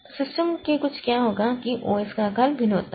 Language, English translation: Hindi, So, some of the systems what will happen is that OS size varies